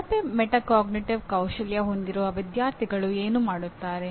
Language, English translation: Kannada, And what do the students with poor metacognitive skills do